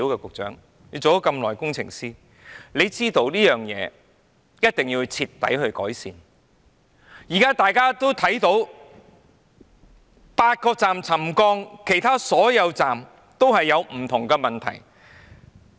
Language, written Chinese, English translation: Cantonese, 局長，你也當了工程師很久，你知道一定要徹底改善車站出現的問題，現在8個車站出現沉降，其他車站也出現不同問題。, Secretary you have been an engineer for a long time . You should know that these problems found in different MTR stations have to be thoroughly rectified . Now subsidence is found in eight stations and different problems are found in some other stations